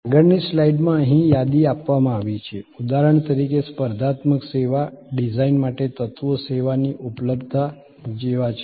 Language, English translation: Gujarati, A list is provided in the next slide here for example, for a competitive service design, the elements are like availability of the service